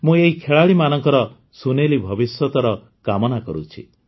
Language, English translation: Odia, I also wish these players a bright future